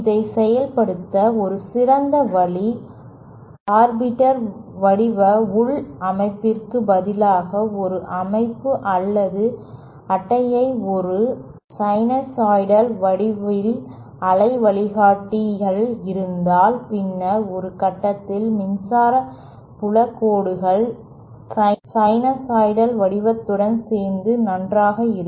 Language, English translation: Tamil, A better way of implementing this is instead of having any arbitrary shaped structure inside, if we have a structure or a card inside this waveguide that a sinusoidal shaped, then the electric field lines at some point of time will be oriented nicely along the sinusoidal shape